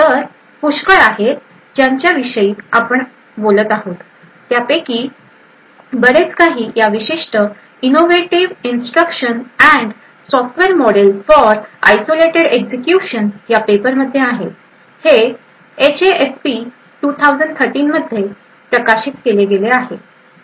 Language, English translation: Marathi, So, a lot of what we are actually talking is present in this particular paper Innovative Instructions and Software Model for Isolated Execution, this was published in HASP 2013